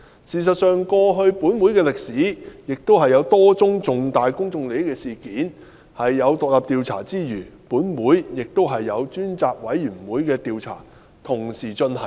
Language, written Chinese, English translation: Cantonese, 事實上，根據本會的歷史，過去有多宗涉及重大公眾利益的事件，除有獨立調查委員會調查外，本會亦有專責委員會同時進行調查。, In fact in the history of this Council Select Committees were set up by this Council to conduct investigations into a number of incidents involving significant public interest concurrently even though the incidents were already under the investigation of relevant independent commissions of inquiry